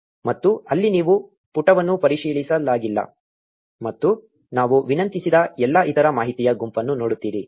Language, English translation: Kannada, And there you see the page is not verified and all the other bunch of information we requested for